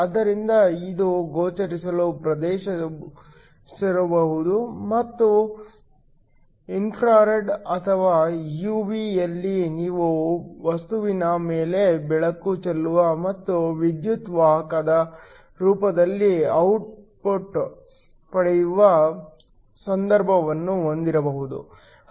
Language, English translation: Kannada, So, this could be in the visible region or in the infrared or UV you also have a case where you shine light on to a material and get an output in the form of an electric current